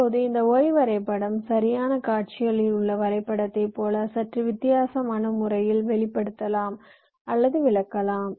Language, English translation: Tamil, now this y diagram can also be expressed or interpreted in a slightly different way, as the diagram on the right shows